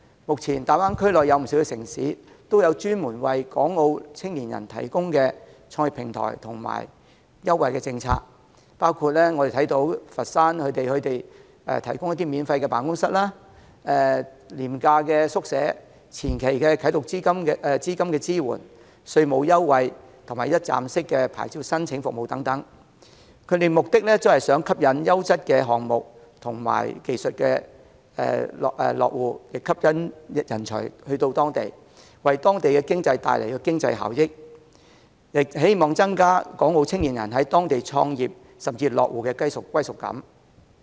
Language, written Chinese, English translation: Cantonese, 目前大灣區內有不少城市也有專門為港澳青年人提供的創業平台及優惠政策，包括佛山提供的免費辦公室、廉價宿舍、前期啟動資金支援、稅務優惠及一站式的牌照申請服務等，目的是吸引優質的項目、技術及人才落戶，為當地帶來經濟效益，希望增加港澳青年人在當地創業甚至落戶的歸屬感。, Many cities in the Greater Bay Area now provide a dedicated platform and preferential policies for young people from Hong Kong and Macao . For example in order to enhance their sense of belonging to start their business and settle in Foshan the Foshan government provides free office space cheap boarding start - up funding supports tax concession and a one - stop licensing service to attract quality projects technologies and talents to settle in Foshan . This in turn brings economic benefits to the area